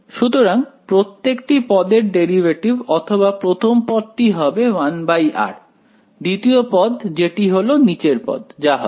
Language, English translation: Bengali, So, derivative of each term so first term will become 1 by r; second term will I mean the term in the bottom will become minus 2 by